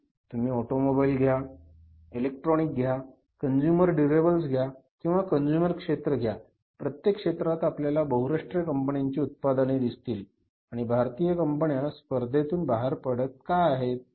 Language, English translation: Marathi, You have automobiles, you have electronics, you have consumer durables, you have other consumer durables I mean to say then you have the consumer sector everywhere you are finding the products from the multinational companies and Indian companies are going out of the market